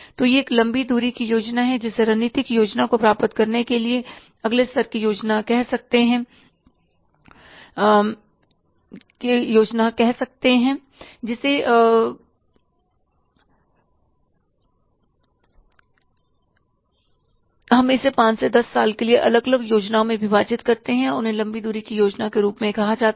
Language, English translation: Hindi, So, it is a long range plan which is say the next level plan to achieve the strategic plan, we divide it into five to 10 years different plans and they are called as the long range long range plans